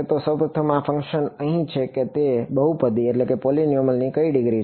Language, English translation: Gujarati, So, first of all this function over here what degree of polynomial is it